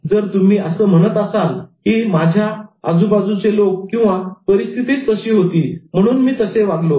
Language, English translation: Marathi, If you say that, oh, because people around me or the situation was like that, so I behaved in that mean manner